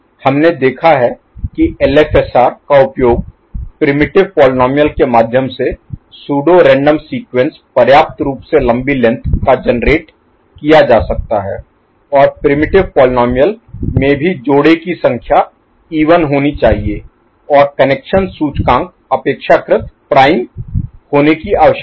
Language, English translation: Hindi, We have seen that LFSR can be used and to generate through primitive polynomials pseudo random sequences of sufficiently long length and primitive poly polynomials need to have even number of pairs and tap indices need to be relatively prime